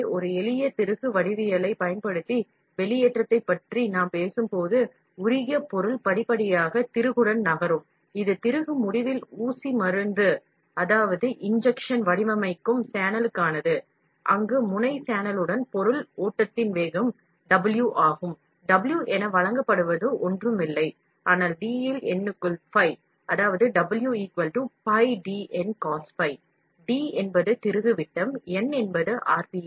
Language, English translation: Tamil, So, when we talk about extrusion using a simple screw geometry, molten material will gradually move along the screw, this is for injection molding channel towards the end of the screw, where the nozzle is velocity W of the material flow along the channel, is given as W is nothing, but pi into D into N